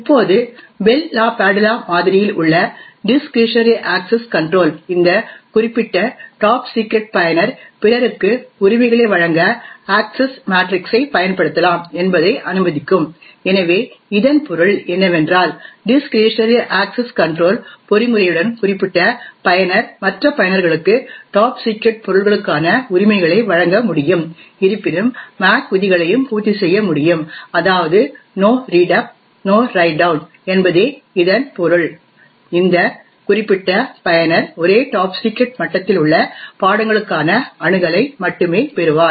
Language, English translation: Tamil, Now the discretionary access control present in the Bell LaPadula model would permit that this particular top secret user could use the access matrix to grant rights to other, so what this means, with the discretionary access control mechanism is particular user can grant rights for the top secret objects to other users, however since the MAC rules also have to be met that is the No Write Down and that is the No Read Up and No Write Down it would mean that this particular user get only grant access to subjects which are at the same top secret level